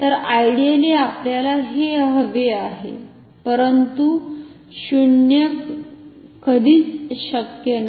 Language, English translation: Marathi, So, ideally we would like to have so, zero is never possible